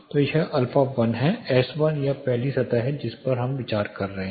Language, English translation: Hindi, So, this is alpha1, S1 this is the first surface we are considering